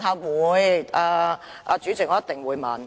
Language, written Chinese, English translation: Cantonese, 我會，主席，我一定會問。, I will President . I surely will ask my question